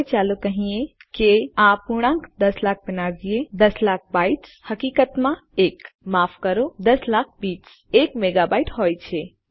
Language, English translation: Gujarati, Now lets say we round this off to about a million a million bytes is in fact a...., Sorry, a million bits is a megabyte